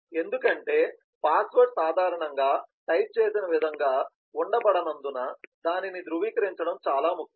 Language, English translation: Telugu, because it is important to verify that because password is normally not kept in the way they are typed